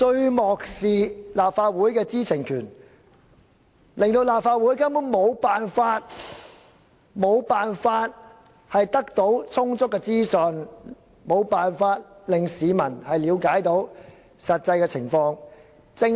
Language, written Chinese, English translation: Cantonese, 當局漠視立法會的知情權，令立法會根本無法得到充足的資訊，市民無法了解實際的情況。, The Administration has utterly no regard for the Legislative Councils right to know and there is no sufficient information for this Council to deliberate and for members of the public to grasp the actual situation